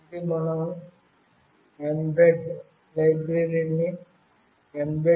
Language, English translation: Telugu, This says that we have to include mbed library mbed